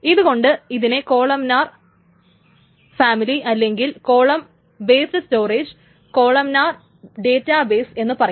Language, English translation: Malayalam, That's why it's called a columnar family or column based storage or columnar family, column databases, etc